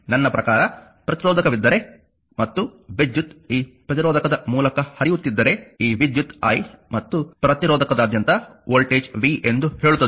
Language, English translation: Kannada, I mean if you have a resistor and current is flowing through this resistor say this current is i and across the resistor is voltage is v